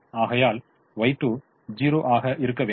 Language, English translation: Tamil, therefore y two has to be zero